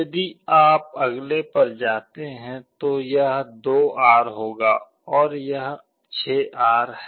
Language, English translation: Hindi, If you move to the next one this will be 2R and this is 6R